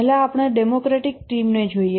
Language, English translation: Gujarati, First, let's look at the democratic team